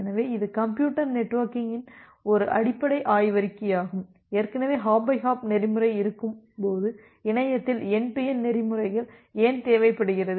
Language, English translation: Tamil, So, it is a fundamental paper in Computer Networking that talks about that, why do you require this kind of end to end protocols in the internet when there is this hop by hop protocols already existing